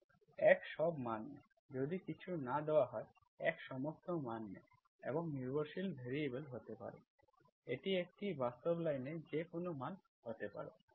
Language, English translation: Bengali, x takes all the values, if nothing is given, x takes all the values and the dependent variable can be, it can be there, it can be any value in a in a real line